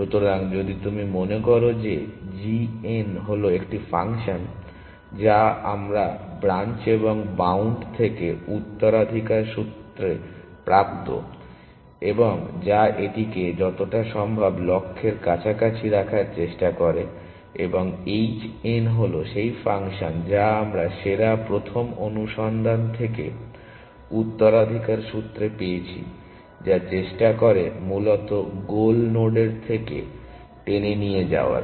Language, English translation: Bengali, So, if you remember g n was the function which we sort of inherited from branch and bound which tries to keep it as close to the goal as to the start at possible, and h n is the function we have inherited from best first search which tries to pull it towards the goal node essentially